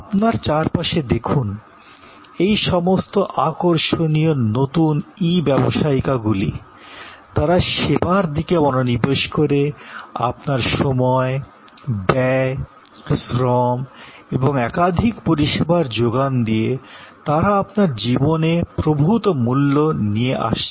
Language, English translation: Bengali, Look around you, all these fascinating new e businesses, they focus on service, they bring to you a value in terms of savings of time, cost, labour and a plethora of services